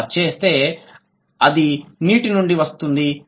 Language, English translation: Telugu, So, it has come from water